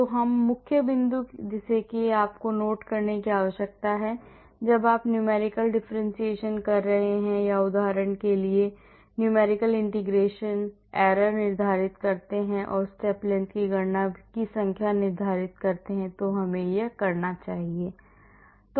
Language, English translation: Hindi, So, that is the main point which you need to note when you are doing numerical differentiation or for example even numerical integration the step length determines the error and the step length also determines the number of calculations we have to do